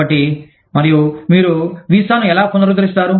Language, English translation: Telugu, So, and, how do you renew the visa